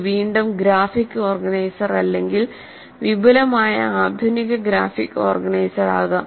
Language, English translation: Malayalam, It can be again graphic organizers or advanced graphic organizers